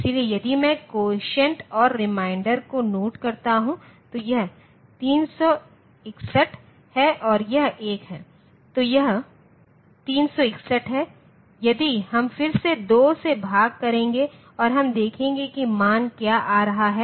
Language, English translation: Hindi, So, if I note down the quotient part and the remainder part, this is 361 and this is 1, then this 361 if we will divide by 2 again and we will see like what is the value coming